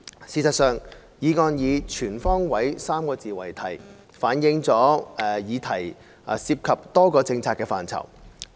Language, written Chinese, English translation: Cantonese, 事實上，議案以"全方位 "3 個字為題，反映議題涉及多個政策範疇。, In fact on all fronts are part of the motion title indicating that the issue involves multiple policy areas